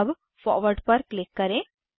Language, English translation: Hindi, Now click on Forward